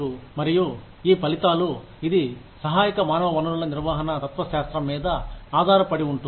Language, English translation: Telugu, And, this results, this is rests on, a supportive human resources management philosophy